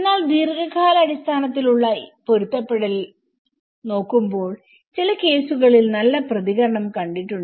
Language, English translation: Malayalam, But when we look at the longer run adaptability in some cases we have seen a positive response